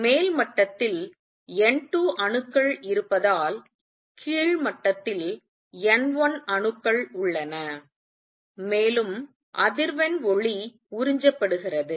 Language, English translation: Tamil, That happens because there are atoms in the upper state N 2, there are atoms in the lower state N 1, and the frequency light gets absorbed